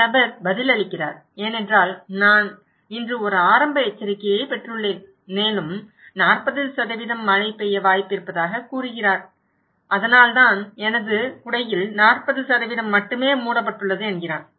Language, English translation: Tamil, This person is answering because I receive an early warning today and is saying that there is a chance of rain 40% and that’s why only 40% of my umbrella is covered